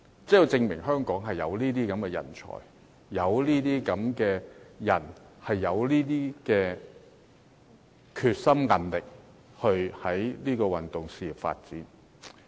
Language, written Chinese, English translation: Cantonese, 這就證明香港有這類人才，而且他們有決心和韌力去發展運動事業。, Evidently this kind of talents can be found in Hong Kong and they are determined and persistent to develop their careers in sports